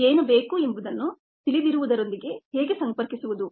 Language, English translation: Kannada, now how to connect what is needed with what is known